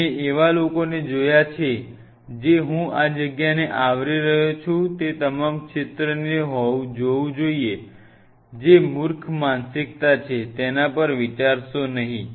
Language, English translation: Gujarati, I have seen people you know I am covering this space it should look all field, which is foolish mentality do not do that think over it that